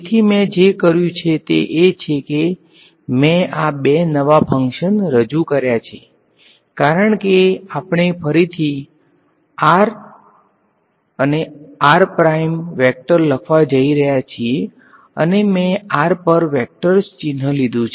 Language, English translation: Gujarati, So, what I have done is I have introduced these two new functions, also because we are going to write r and r prime again and again and again, I have drop the vectors sign over r ok